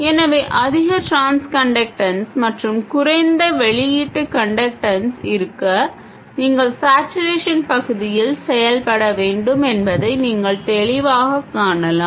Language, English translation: Tamil, So, you can clearly see that to have highest transconductance and lowest output conductance you have to operate in saturation region